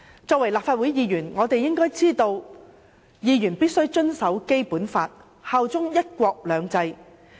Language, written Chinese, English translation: Cantonese, 作為立法會議員，我們應該知道議員必須遵守《基本法》，效忠"一國兩制"。, As Members of the Legislative Council we should understand that we must abide by the Basic Law and swear allegiance to one country two systems